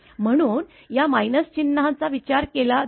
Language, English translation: Marathi, So, that is why this minus sign is considered